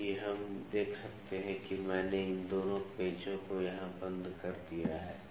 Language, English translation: Hindi, So, we can see that after I have locked the both this screws here